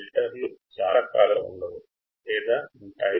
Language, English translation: Telugu, Filters can be of several types